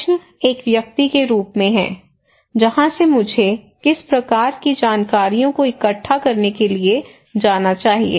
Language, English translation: Hindi, The question is as an individual, from where I should go to collect which kind of informations